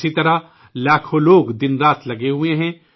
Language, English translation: Urdu, Similarly, millions of people are toiling day and night